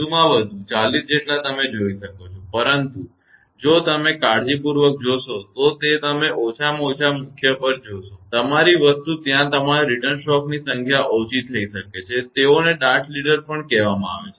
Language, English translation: Gujarati, As many as maximum, as many as 40 you can see, but if you see carefully you will see at least after the main; your thing there may be few your return stroke also they are called dart leader